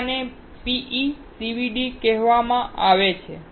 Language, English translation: Gujarati, Second one is called PECVD